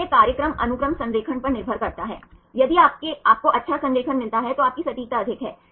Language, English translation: Hindi, So, this program depends on the sequence alignment, if you get good alignment then your accuracy is high